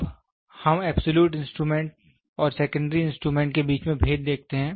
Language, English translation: Hindi, Now, let us see the difference between absolute instrument and secondary instrument